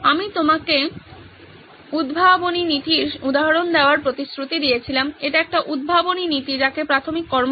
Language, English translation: Bengali, I promised to give you examples of inventive principles this is one of the inventive principles called preliminary action